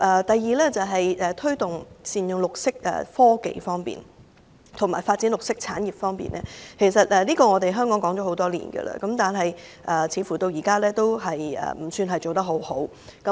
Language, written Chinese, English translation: Cantonese, 第二，在推動善用綠色科技及發展綠色產業方面，其實香港已經談了多年，但目前進度不算理想。, Second we have discussed for years how to promote the optimal use of green technologies and the development of green industries but the progress is not satisfactory